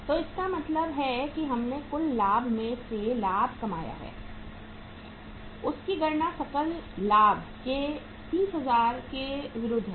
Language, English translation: Hindi, So it means against 30,000 of gross profit we have calculated the interest expense